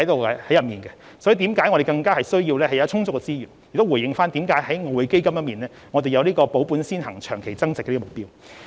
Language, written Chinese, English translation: Cantonese, 為此，我們需要備有更充足的資源，因而在處理外匯基金資產時必須以保本先行，長期增值為目標。, Hence we need to have sufficient resources so we must adopt the investment objectives of capital preservation for long - term growth when managing the EF assets